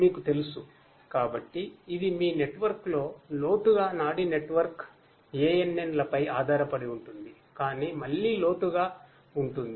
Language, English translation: Telugu, You know, so it deep in your network is again based on neural network ANN’s, but its again with deep deep